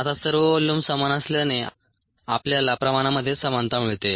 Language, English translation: Marathi, now, since all the volumes are the same, we get equality in concentrations